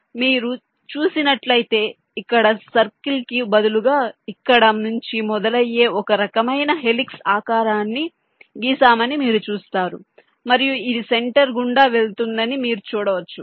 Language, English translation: Telugu, now you see, instead of circle we have drawn some kind of a helix which starts form here and it moves down towards the center